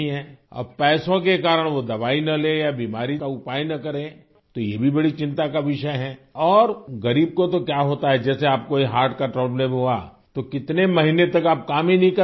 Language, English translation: Urdu, Now, because of money they do not take medicine or do not seek the remedy of the disease then it is also a matter of great concern, and what happens to the poor as you've had this heart problem, for many months you would not have been able to work